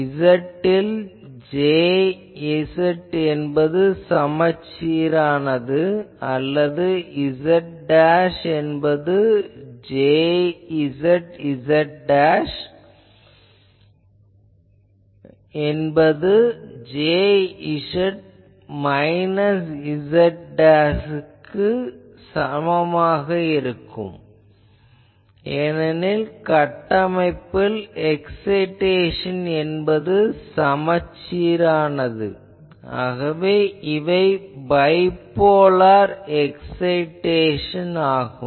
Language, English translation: Tamil, J z is symmetrical in z or z dash that that means J z z dash is equal to J z minus z dashed, because of the structure the excitation is symmetrical, so bipolar excitation, so these